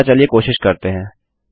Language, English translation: Hindi, So lets try it